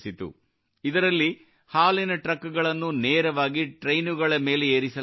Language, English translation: Kannada, In this, milk trucks are directly loaded onto the train